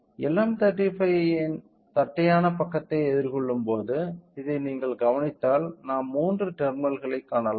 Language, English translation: Tamil, If you observe this when we are facing towards the flat side of LM35 we can see the three terminals